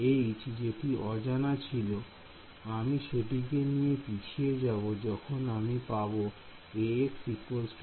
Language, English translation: Bengali, This H over here which has the unknown term I will move it back to when I get Ax is equal to b